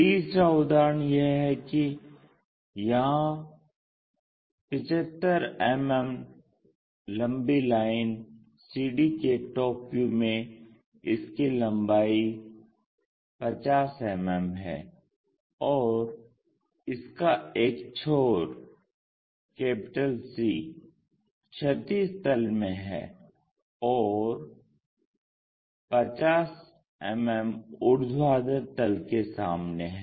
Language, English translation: Hindi, The third example is there is a top view in that 75 mm long line CD which measures 55 50 mm; and its end C is in horizontal plane and 50 mm in front of vertical plane